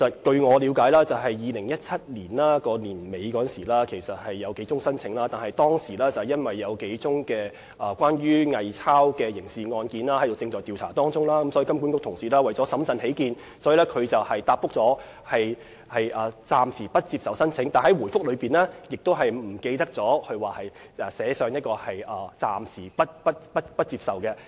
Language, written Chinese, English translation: Cantonese, 據我了解，金管局在2017年年底曾收到數宗申請，但當時由於有數宗偽鈔刑事案件正進行調查，所以金管局為了審慎起見，便回覆暫時不接受申請，但在回覆中忘記寫上"暫時不接受申請"。, As far as I know HKMA received several applications at the end of 2017 at which time investigations on several criminal cases of counterfeit currency notes were in progress . Out of prudence HKMA put applications on hold but it forgot to state this reason in its reply